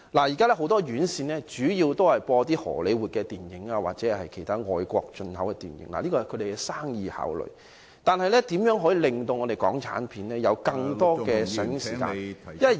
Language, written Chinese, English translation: Cantonese, 現時很多院線主要播放荷李活電影或其他外國進口電影，這是業界的生意考慮，但港產片的上映時間......, At present many theatre chains mainly show Hollywood movies or other foreign imported movies . This is a business consideration of the industry but the showing time of Hong Kong films